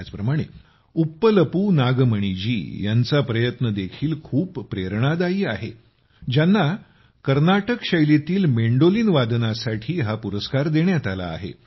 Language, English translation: Marathi, Similarly, the efforts of sister Uppalpu Nagmani ji are also very inspiring, who has been awarded in the category of Carnatic Instrumental on the Mandolin